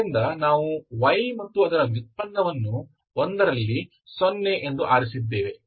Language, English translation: Kannada, So we have chosen combination of y and its derivative at 1, this is equal to 0